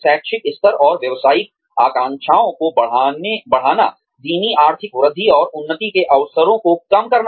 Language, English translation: Hindi, Rising educational levels and occupational aspirations, coupled with slow economic growth, and reduced opportunities, for advancement